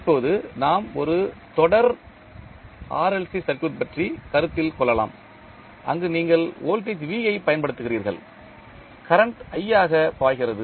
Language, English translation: Tamil, Now, let us consider a series RLC circuit where you apply voltage V and current is flowing as i